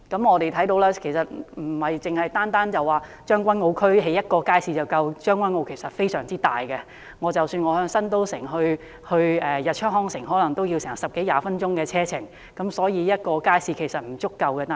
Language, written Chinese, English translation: Cantonese, 我們看到在將軍澳不是只興建一個街市便足夠，因為將軍澳非常大，由新都城到日出康城也要十多二十分鐘的車程，所以一個街市並不足夠。, We can see that a single market in Tseung Kwan O is not enough as Tseung Kwan O covers an extensive area and it is a 10 to 20 minutes drive from Metro City to LOHAS Park a single market is not enough